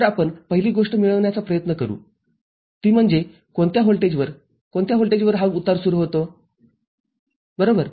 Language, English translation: Marathi, So, the first thing that we shall try to get is what at which voltage, at which voltage this fall starts occurring right